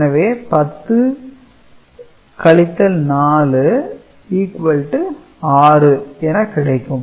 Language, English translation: Tamil, So, 10 minus 7 is 3 right